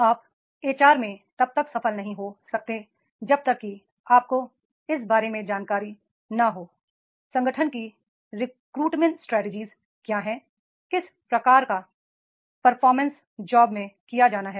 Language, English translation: Hindi, You cannot be the successful in HR unless and until you are not aware about what are the recruitment strategies of the organization